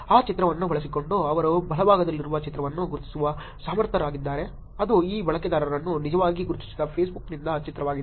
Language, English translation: Kannada, Using that the picture they are able to actually identify the picture on the right which is the picture from Facebook where this user was actually identified